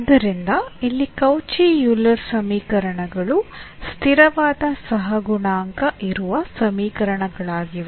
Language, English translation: Kannada, So, here the Cauchy Euler equations are the equations with an on a constant coefficient